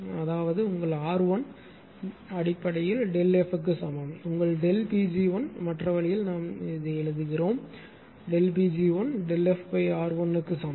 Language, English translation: Tamil, That is your R 1 is equal to basically delta F upon your delta P g 1 other way we are writing delta P g 1 is equal to delta F of R 1